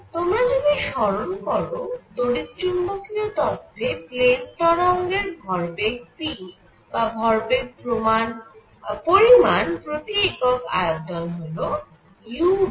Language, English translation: Bengali, Now for plane waves, if you recall from electromagnetic theory momentum p which is momentum content per unit volume is same as u over c